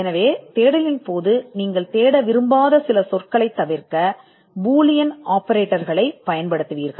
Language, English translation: Tamil, So, you would use Boolean operators to avoid certain words which you do not want to figure in the search